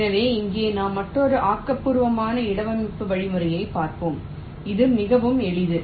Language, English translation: Tamil, so here we look at another constructive placement algorithm which is very simple